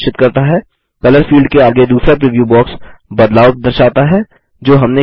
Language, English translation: Hindi, The second preview box next to the Color field shows the changes that we made